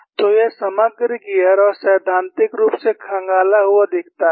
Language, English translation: Hindi, So, this shows the overall gear and the, theoretically reconstructed